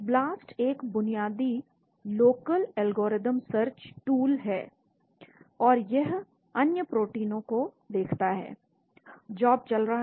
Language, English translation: Hindi, BLAST is a basic local algorithm search tool, and it looks at other proteins found job is running here